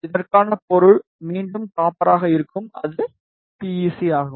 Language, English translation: Tamil, And the material for this will be again copper that is PEC